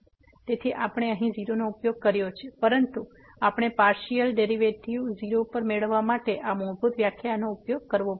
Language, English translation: Gujarati, Therefore, we have used here 0, but we have to use this fundamental definition to get the partial derivative at 0